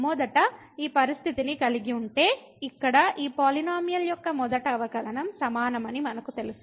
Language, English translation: Telugu, So, having this condition first we know that the first derivative of this polynomial here is equal to